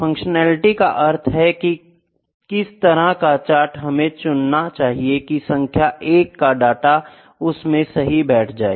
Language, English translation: Hindi, Functionality is which kind of chart should be select to properly fit the data number 1 it is function, ok